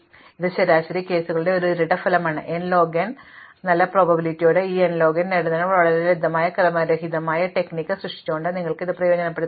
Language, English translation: Malayalam, So, there is a very simple, this is a kind of a dual result to the fact of the average case is n log n, you can exploit that by creating a very simple randomized strategy in order to achieve this n log n thing with good probability